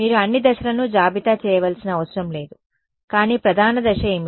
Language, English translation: Telugu, You do not have to list all the steps, but what is the main step